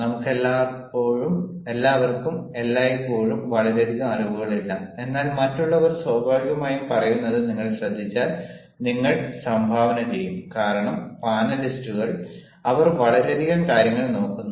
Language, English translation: Malayalam, not all of us are always having a lot of knowledge, but if you listen to what others are saying, naturally you will contribute because, ah the panelists, they are looking at so many things fine